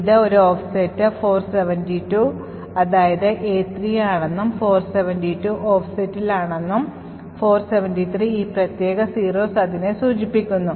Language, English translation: Malayalam, So, know that this is at an offset 472, that is, A3 is at an offset of 472 and 473 corresponds to this particular 0s